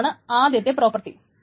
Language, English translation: Malayalam, That's the first property